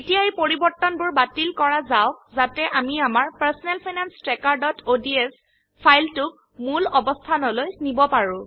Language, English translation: Assamese, Let us undo these changes in order to get our Personal Finance Tracker.ods to its original form